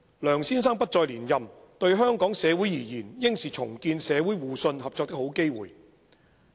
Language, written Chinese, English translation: Cantonese, 梁先生不再連任，對香港社會而言應是重建社會互信、合作的好機會。, Mr LEUNGs decision not to seek re - election accords a good opportunity to Hong Kong society to rebuild the mutual trust and cooperation among various communities